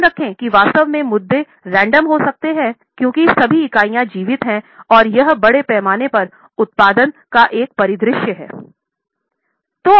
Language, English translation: Hindi, Keep in mind actually the issues may be random because all the units are alike and this is a scenario of mass production